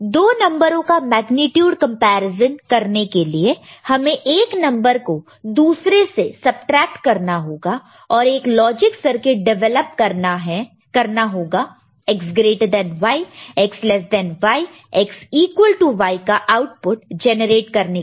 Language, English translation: Hindi, Magnitude comparison of two numbers can be done by subtracting one number from the other and developing suitable logic circuit to generate this X greater than Y, X is equal to Y, X less than Y output